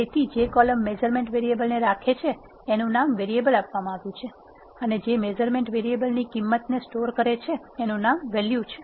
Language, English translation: Gujarati, So, the columns which carries this measurement variables is named as variable and which wholes the values of the measurement variable is named as value